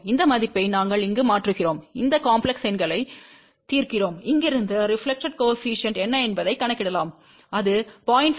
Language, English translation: Tamil, We substitute this value over here, solve these complex numbers and from here we can calculate what is the reflection coefficient and that comes out to be 0